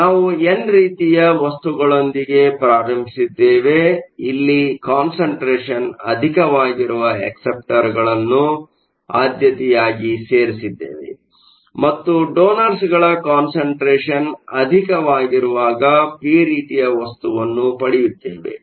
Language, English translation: Kannada, So, thus we started out with an n type material, but by preferentially adding acceptors whose concentration is more, when the concentration of donors, you have made this material into a p type material